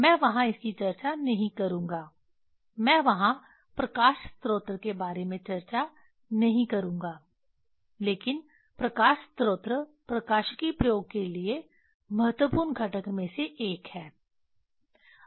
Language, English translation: Hindi, here what I will not discuss there I will not discuss about the light source there but light source is one of the component one of the important component for optics experiment